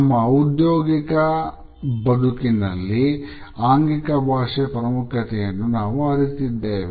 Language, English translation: Kannada, All of us are aware of the significance of body language in our professional world